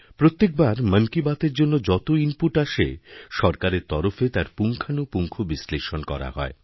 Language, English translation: Bengali, Every time the inputs that come in response to every episode of 'Mann Ki Baat', are analyzed in detail by the government